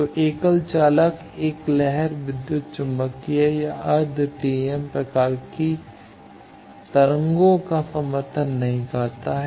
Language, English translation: Hindi, So, single conductor does not support a traverse electromagnetic or quasi TEM type of waves